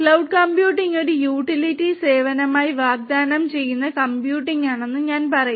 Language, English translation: Malayalam, Right I would say that cloud computing is computing offered as a utility service; computing offered as a utility service